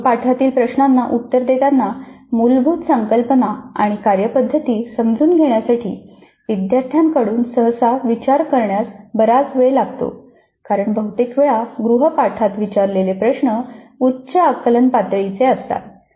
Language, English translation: Marathi, Basically take home kind of assignments and the responding to the assignment questions usually requires considerable time from the students in understanding the underline concepts and procedures because most of the time the questions posed in the assignments are at higher cognitive levels